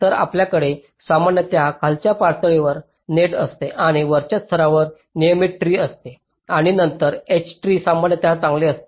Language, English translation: Marathi, so we normally have a mesh in the lower level and a regular tree at the upper level and then a h tree, usually ok, fine